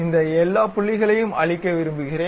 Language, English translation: Tamil, I would like to erase all these points